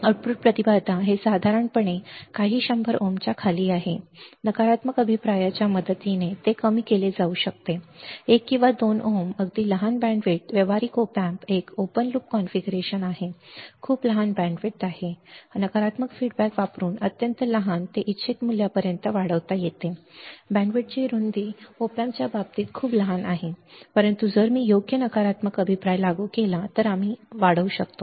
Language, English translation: Marathi, Output impedance, it is typically under few hundred ohms with the help of negative feedback it can be reduced to one or 2 ohms very small way hmm band width band width of practical op amp is an in open loop configuration is very small band width is extremely small by application of negative feedback, it can be increased to the desired value right band width is very small in case of op amp, but if I apply a proper negative feedback we can increase the fed